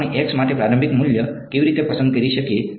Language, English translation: Gujarati, How do we choose an initial value for x